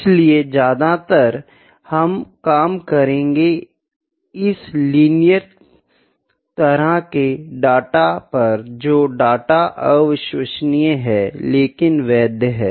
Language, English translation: Hindi, So, mostly we will be working on this kind of data, the data which is unreliable, but valid